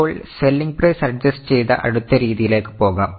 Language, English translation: Malayalam, Now let us go to the next method that is adjusted selling price